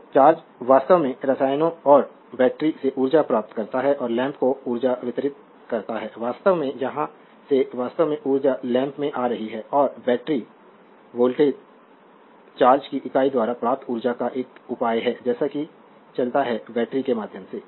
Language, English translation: Hindi, So, the charge actually gains energy from the chemicals and your in the battery and delivers energy to the lamp the actually the from here actually energy is coming to the lamp right and the battery voltage is a measure of the energy gained by unit of charge as if moves through the battery